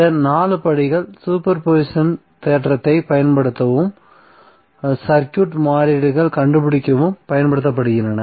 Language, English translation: Tamil, So these 4 steps are utilize to apply the super position theorem and finding out the circuit variables